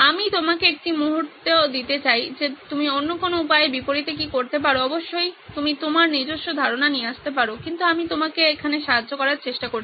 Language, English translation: Bengali, I will give you a moment to think about what can you do other way round opposite of, of course you can come out with your own ideas but I am just trying to help you over here